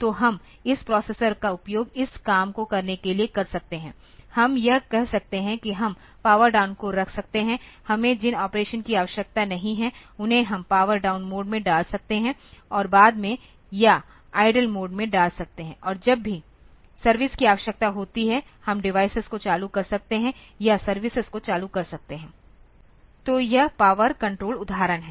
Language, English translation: Hindi, So, we can use this processor for doing this things; we can say that we can put the power down we cannot required the operations we can put it in power down mode and later on or in the idle mode and whenever the this service is required we can turn on the device or turn on the services; so, this is a power control example